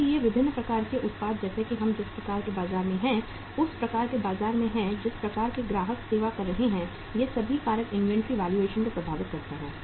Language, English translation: Hindi, So different factors like the type of the product we are in, type of the market we are in, type of the customers the firm is serving, all these factors impact the inventory valuation